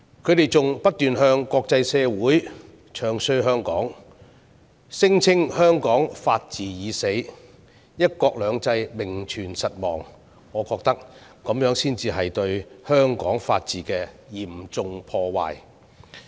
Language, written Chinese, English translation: Cantonese, 他們不斷在國際社會中傷香港，聲稱香港"法治已死"、"一國兩制"名存實亡，我覺得這才是對香港法治的嚴重破壞。, They constantly vilify Hong Kong in the international community claiming that Hong Kongs rule of law is dead and one country two systems exists in name only . I think this is what really brings serious damage to the rule of law in Hong Kong